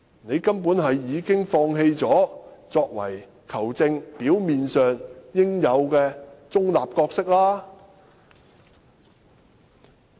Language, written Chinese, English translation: Cantonese, 你根本已經放棄了作為球證應有的表面中立。, You have totally brushed aside the veneer of neutrality that a referee must at lease show